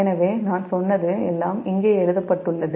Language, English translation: Tamil, so everything is written here